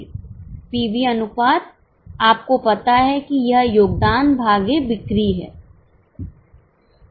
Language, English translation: Hindi, PV ratio you know is contribution upon sales